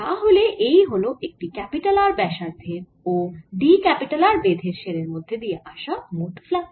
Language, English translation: Bengali, that is a flux through this shell of radius r and thickness d r